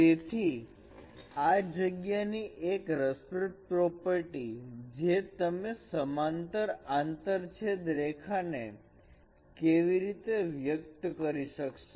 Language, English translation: Gujarati, So one of the interesting property in this space that how do you express the intersection of parallel lines